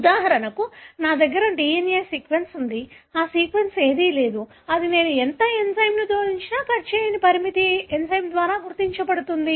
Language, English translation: Telugu, For example, I have a DNA sequence that doesn’t have any of that sequence that would be identified by the restriction enzyme it will not cut, no matter how much enzyme I add